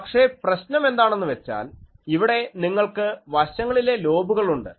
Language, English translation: Malayalam, But if you, but the problem is you see that here you have side lobes etc